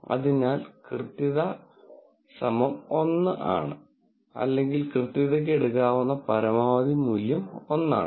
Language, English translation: Malayalam, So, accuracy, equal to 1 or the maximum value that accuracy can take is 1